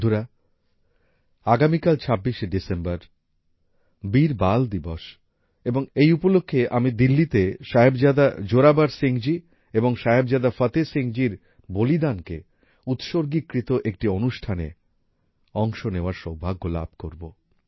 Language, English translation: Bengali, Friends, tomorrow, the 26th of December is 'Veer Bal Diwas' and I will have the privilege of participating in a programme dedicated to the martyrdom of Sahibzada Zorawar Singh ji and Sahibzada Fateh Singh ji in Delhi on this occasion